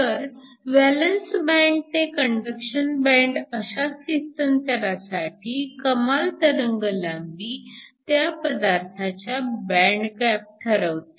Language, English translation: Marathi, So, if there was a transition from the valence band to the conduction band, the maximum wavelength was defined by the band gap of the material